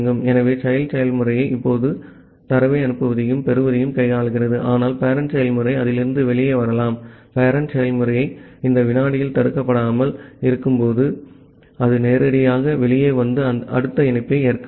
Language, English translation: Tamil, So the child process is now dealing with sending and receiving of the data, but the parent process can come out of that, the parent process is not getting blocked in this second while loop, it can directly come out and accept the next connection